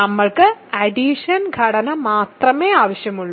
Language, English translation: Malayalam, We only needed additive structure